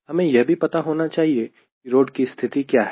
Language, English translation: Hindi, also, you know that we need to also know how is the road condition